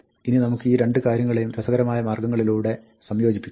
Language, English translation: Malayalam, Now, you can combine these two things in interesting ways